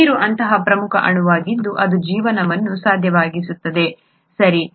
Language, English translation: Kannada, Water has very many important properties that make life possible, okay